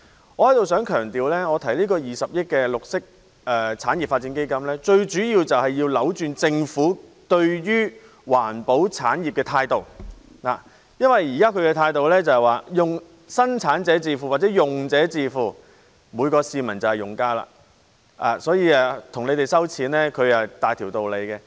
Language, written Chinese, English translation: Cantonese, 我想在此強調，我提出20億元綠色產業發展基金，最主要是要扭轉政府對於環保產業的態度，因為政府現時的態度是由生產者自付或用者自付，每一名市民也是用家，所以大條道理向他們徵費。, I wish to stress here that I propose the 2 billion green industries development fund with the principal aim of altering the Governments attitude towards the environmental industry namely that the producers or users should pay for the disposal . Currently as every member of the public is a user the Government has every reason to levy charges on them